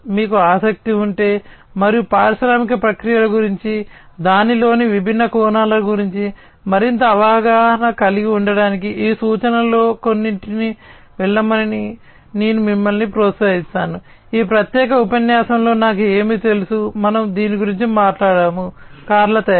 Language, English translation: Telugu, And if you are interested, and I would encourage you in fact to go through some of these references to have further understanding about the industrial processes, the different aspects of it, what are the I know in this particular lecture, we have talked about the car manufacturing